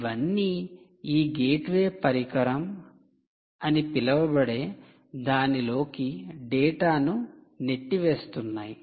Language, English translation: Telugu, all of them are pushing data to what is known as this gateway device